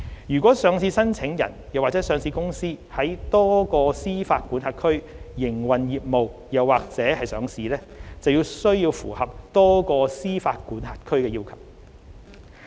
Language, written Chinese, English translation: Cantonese, 若上市申請人或上市公司在多個司法管轄區營運業務及/或上市，則須符合多個司法管轄區的要求。, If listing applicants or listed companies operate their business andor list in multiple jurisdictions they have to comply with the requirements of multiple jurisdictions